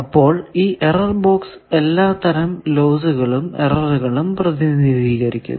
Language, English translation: Malayalam, So, error box represent all these losses or error effects